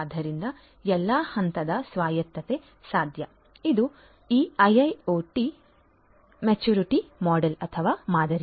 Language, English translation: Kannada, So, all levels of autonomy would be possible so this is this IIoT maturity model